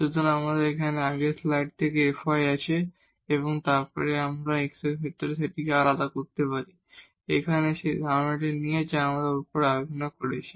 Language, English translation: Bengali, So, here we have the f y from the previous slide and then we can differentiate this with respect to x, here with the idea which we have just discussed above